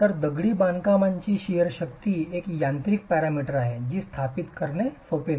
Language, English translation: Marathi, So the shear strength of masonry is a mechanical parameter that is not straightforward to establish